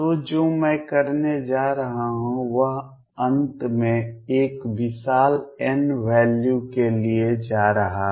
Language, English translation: Hindi, So, what I am going have finally is go to a huge n value